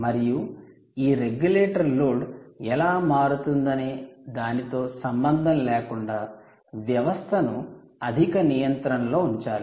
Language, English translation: Telugu, this regulator has to ensure that, irrespective of what the, how the load is varying, it has to keep the system under high regulation